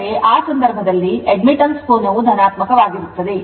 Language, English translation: Kannada, That means, in that case angle of admittance is your positive right